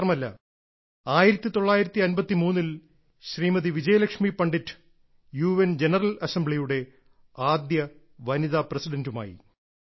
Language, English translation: Malayalam, Vijaya Lakshmi Pandit became the first woman President of the UN General Assembly